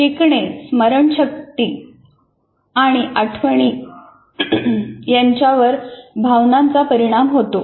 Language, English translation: Marathi, Emotions affect learning, memory and recall